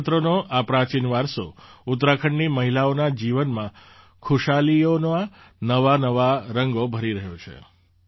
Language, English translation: Gujarati, This ancient heritage of Bhojpatra is filling new hues of happiness in the lives of the women of Uttarakhand